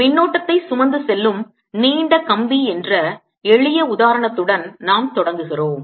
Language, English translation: Tamil, we start with the simplest example whereby i have a long wire carrying current i